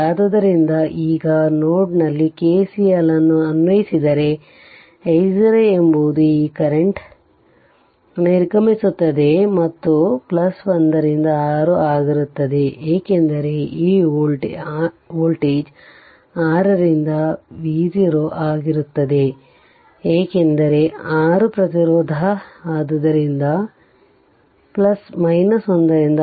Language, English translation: Kannada, So, if you now apply KCL at node a so, i 0 is equal to right, this i right is equal to this i this this is a entering this current is leaving and plus 1 by 6 because this voltage is V 0 by 6, because 6 ohm resistance; so, plus your 1 by 6